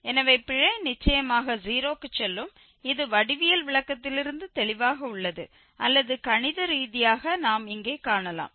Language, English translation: Tamil, So, the error will definitely go to 0 which is clear from the geometrical interpretation as well or mathematically we can see here